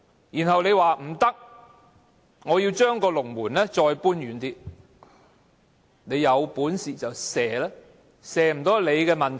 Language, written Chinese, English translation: Cantonese, 然後，你說不可以，要將龍門再搬遠一點，有本事便射球吧，射不到是你們的問題。, But you are still not satisfied and want to move the goal further back daring us to shoot and saying that we can only blame ourselves if we cannot make a score